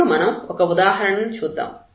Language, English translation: Telugu, So, let us move to the example here